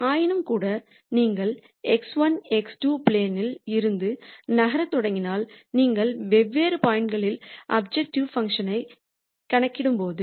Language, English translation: Tamil, Nonetheless if you start moving in the x 1, x 2 plane then when you compute the objective function at di erent points